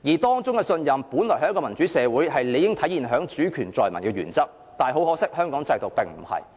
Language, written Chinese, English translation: Cantonese, 當中的信任，在一個民主的社會，是理應體現在主權在民的原則，但可惜，香港制度並非如此。, That trust should have been embodied in the principle of sovereignty residing with the people in a democratic society but unfortunately it is not the case for Hong Kong